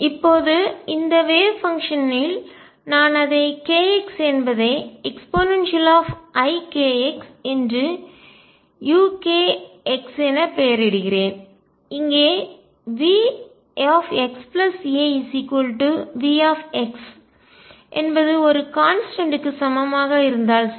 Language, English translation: Tamil, Now, in the wave function I am labelling it by k x is e raise to i k x u k x, right if V x plus a equals V x is equal to a constant